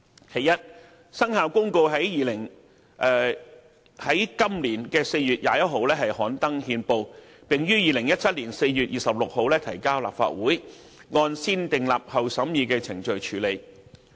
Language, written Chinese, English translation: Cantonese, 其一，《生效日期公告》於今年4月21日刊登憲報，並於2017年4月26日提交立法會，按"先訂立後審議"程序處理。, First the Commencement Notice was published in the Gazette on 21 April 2017 and tabled before the Legislative Council on 26 April 2017 for negative vetting